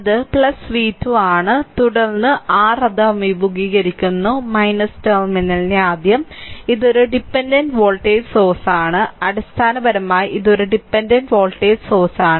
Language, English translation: Malayalam, So, it is plus v 2 plus v 2 right and then your it is encountering minus terminal, first, it is it is a it is a what you call it is a dependent voltage source, right, basically is a dependent voltage source